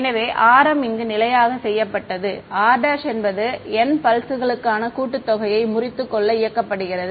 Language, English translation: Tamil, So, r m is fixed over here, r prime is allowed to run over breakup the summation for n pulses